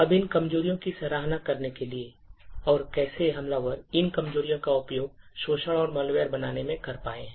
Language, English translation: Hindi, Now in order to appreciate these vulnerabilities and how attackers have been able to utilise these vulnerabilities to create exploits and malware